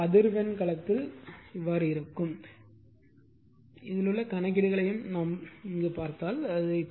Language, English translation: Tamil, So, this is time domain, now if you come to your frequency domain